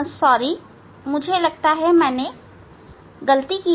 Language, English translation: Hindi, no, I think I did mistake